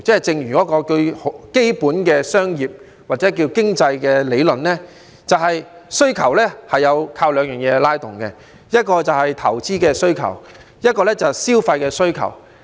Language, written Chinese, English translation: Cantonese, 正如基本的商業或經濟理論提出，需求靠兩方面拉動，一是投資需求，一是消費需求。, As suggested by some basic business or economic theories demand is driven by two factors namely investment and consumption